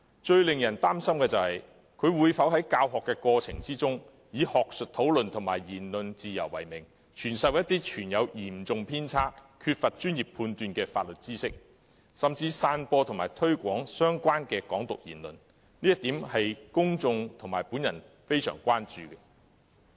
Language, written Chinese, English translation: Cantonese, 最令人擔心的是，他會否在教學過程中以學術討論及言論自由為名，傳授嚴重偏差、缺乏專業判斷的法律知識，甚至散播及推廣與"港獨"有關的言論，這是公眾和我相當關注的一點。, Most worrying is whether he will in the course of teaching impart legal knowledge which is seriously deviated and devoid of professional judgment and even disseminate and publicize remarks related to Hong Kong independence under the name of academic discussion and freedom of speech . This is a concern to the public and me